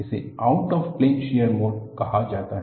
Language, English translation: Hindi, It is called as Out of plane shear mode